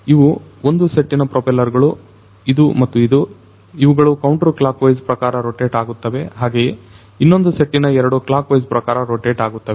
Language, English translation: Kannada, One set of propellers this, this one and this one, they rotate in a counterclockwise fashion whereas, the other set these two would rotate in the clockwise fashion